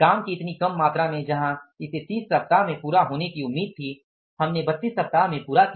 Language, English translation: Hindi, In such a small amount of the work where it was expected to be completed in 30 weeks, we completed in 32 weeks